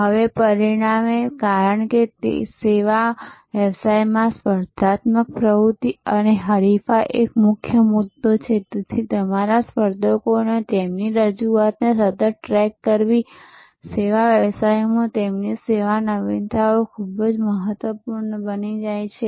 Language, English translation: Gujarati, Now, as a result, because the competitive activity and rivalry is a major issue in service business, so constantly tracking your competitors their offerings, their service innovations become very important in services businesses